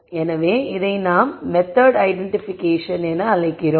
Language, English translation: Tamil, So, this is what we call as method identification